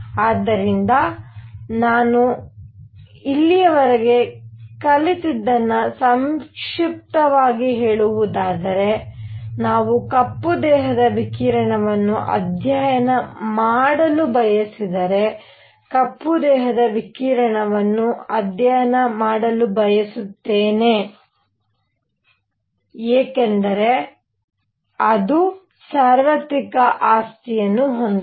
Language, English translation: Kannada, So, let me summarize whatever we have learnt so far is that; if we wish to study black body radiation and as I said earlier; black body radiation, I want to study because it has a universal property